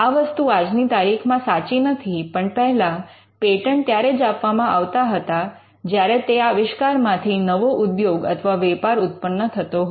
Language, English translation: Gujarati, It may not be true now, but initially patents were granted if that invention would lead to the creation of a new industry or a market